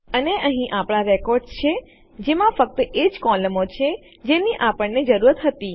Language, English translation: Gujarati, And there are our records with only those columns that we needed